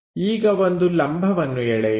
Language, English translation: Kannada, Now draw a perpendicular line